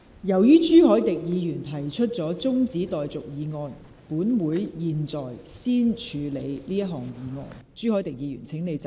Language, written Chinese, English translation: Cantonese, 由於朱凱廸議員提出了中止待續議案，本會現在先處理這項議案。, Since Mr CHU Hoi - dick has proposed a motion that the debate be now adjourned Council will now deal with this motion